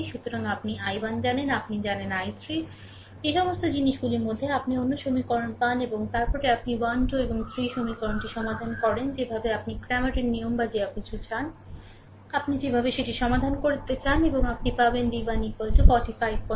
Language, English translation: Bengali, So, you know i 1, you know, i 3 in the all those things, you get another equations and then you solve equation 1, 2 and 3 the way you want Cramer's rule or anything, the way you want to solve it and you will get v 1 is equal to 45